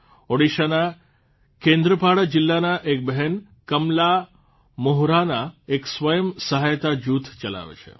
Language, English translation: Gujarati, Kamala Moharana, a sister from Kendrapada district of Odisha, runs a selfhelp group